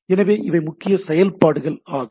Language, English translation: Tamil, So, these are the predominant functionalities